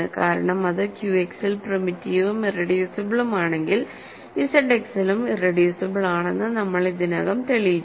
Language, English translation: Malayalam, It is because it is irreducible in Q X first and how because it is primitive it is also irreducible in Z X, right